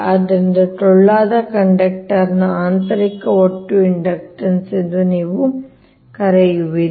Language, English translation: Kannada, you are what you call internal total inductance of the hollow conductor